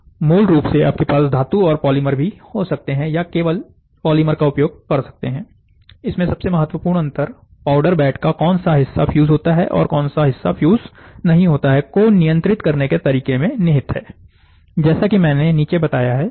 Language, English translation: Hindi, Basically, you can have metal and polymer also there, or you can use only polymer, the key difference lay in their approach to control which portion of the powder bed fuses, and which remain unfused, as I have stated below